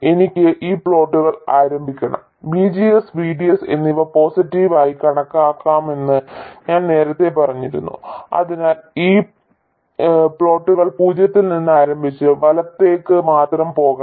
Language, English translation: Malayalam, By the way I should start these plots I will consider VGS to be positive so I should start these plots from 0 and go only to the right